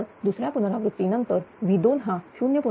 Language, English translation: Marathi, So, after second iteration V 2 is 0